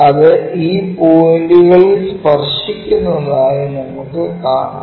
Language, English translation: Malayalam, When we are looking at that it just touch at this points